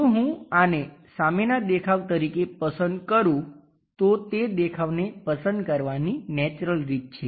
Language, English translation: Gujarati, If I am going to pick this one as the front view, this is the natural way of picking up that view